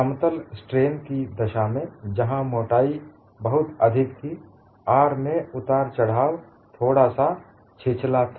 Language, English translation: Hindi, In the case of a plane strain, where the thickness is very large, the variation of R was slightly shallow